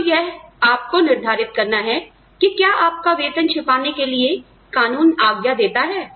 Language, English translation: Hindi, So, you have to decide, whether one, whether the law permits you, to keep your salary secret